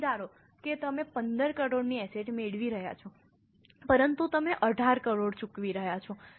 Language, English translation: Gujarati, So, suppose you are acquiring assets worth 15 crore, but you are paying 18 crore, let us say